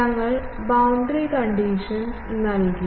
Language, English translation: Malayalam, We put boundary condition